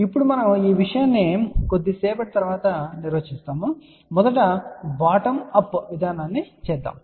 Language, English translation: Telugu, Now, we will define this thing little later on but first let us just do this time we will use a bottom up approach